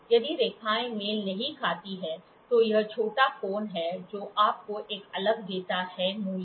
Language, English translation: Hindi, If the lines do not coincides, then that is a small angle which gives you a different value